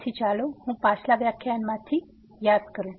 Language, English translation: Gujarati, So, let me just recall from the previous lecture